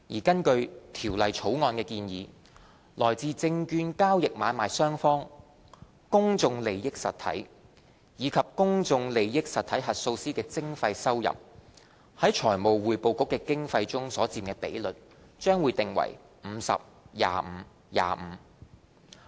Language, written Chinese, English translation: Cantonese, 根據《條例草案》的建議，來自證券交易買賣雙方、公眾利益實體及公眾利益實體核數師的徵費收入，在財務匯報局的經費中所佔比率，將訂為 50：25：25。, As proposed by the Bill the contributions of levies on sellers and purchasers in securities transactions PIEs and PIE auditors to the funding of the Financial Reporting Council should be in the ratio of 50col25col25